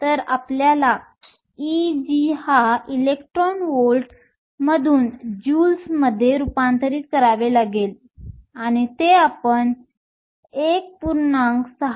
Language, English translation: Marathi, So, you have to convert E g from electron volts to joules and that we can do by just multiplying by 1